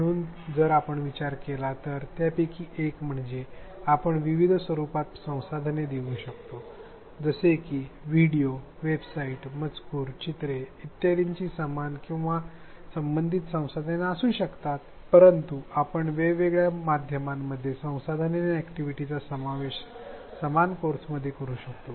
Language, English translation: Marathi, So, if we think of the dimensions one of the things we can do is to provide resources in different formats or different media like videos, websites, text, pictures it could be similar content or related content, but we can vary the medium and include activities and resources in different media within the same course